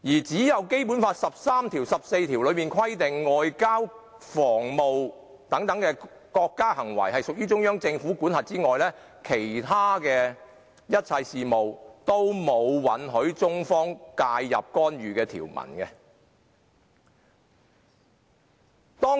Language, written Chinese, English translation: Cantonese, "除了《基本法》第十三及十四條規定外交及防務等屬中央人民政府管轄範圍外，並無其他條文允許中方介入干預香港任何事務。, Apart from Articles 13 and 14 of the Basic Law which stipulate that the Central Peoples Government shall be responsible for the foreign affairs relating to and defence of Hong Kong no other provisions permit the intervention in any of the affairs of Hong Kong by the Central Authorities